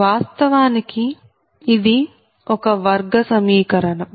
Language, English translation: Telugu, so this is actually quadratic equation